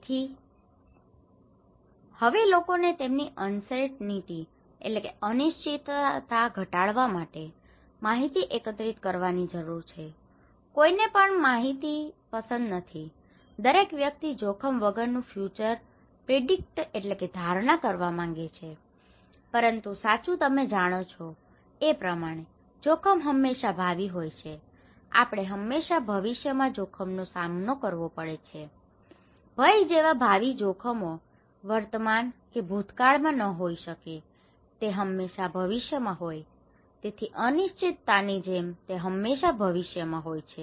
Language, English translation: Gujarati, So, now people need to collect information in order to reduce their uncertainty, no one likes uncertainty, everyone wants to predict their future, like any kind of risk; risk is always future you know that is true, we always face risk in future, future risks cannot be in present or past is always in future like fear, so like uncertainty so, it is always in future